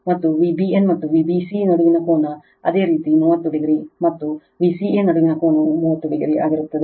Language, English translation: Kannada, And angle between V b n and V b c, it is your 30 degree again and angle between V c a will be 30 degree